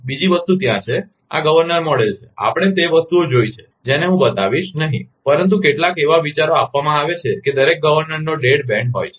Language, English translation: Gujarati, Another thing is there, this is the governor model, we have seen those things I will not cover, but giving some ideas that every governor had dead man